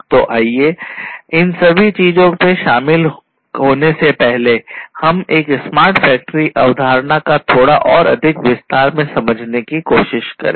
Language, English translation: Hindi, So, let us before getting into all of these things let us first try to understand this smart factory concept in little bit more detail